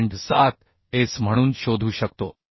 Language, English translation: Marathi, 7S so that will be 5